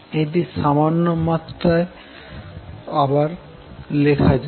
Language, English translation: Bengali, Let us rewrite this slightly